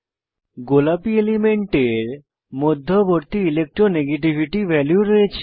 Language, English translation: Bengali, Elements with pink color have in between Electronegativity values